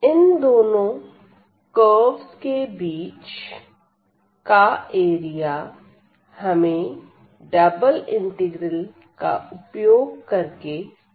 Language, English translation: Hindi, So, the area here enclosed by these two curves, we want to find using the double integral